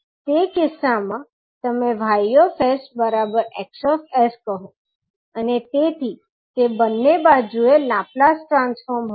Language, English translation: Gujarati, In that case you will say Y s is equal to H s and therefore, the, it was Laplace transform at both sides